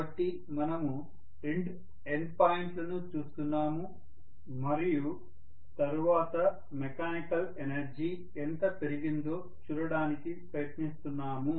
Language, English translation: Telugu, So we are looking at the two endpoints and then we are trying to see how much of mechanical work has been done